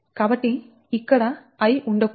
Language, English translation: Telugu, so this i should not be there